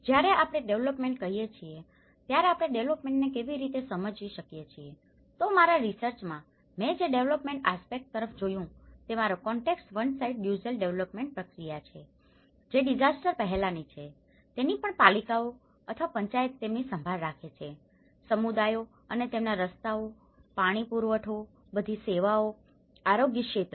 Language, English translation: Gujarati, When we say development, how can we define the development, so in my research what I looked at the development aspect my context is on one side the usual development process, which is before the disaster also the Municipalities or the Panchayat keep taking care of their communities and their roads, water supplies, services everything, health sector